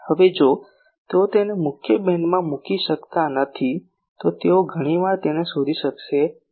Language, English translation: Gujarati, Now if they cannot put it into the main beam then they many times would not be able to detect it